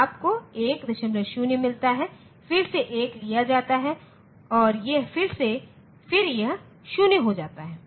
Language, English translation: Hindi, 0, again that 1 is taken and then it becomes 0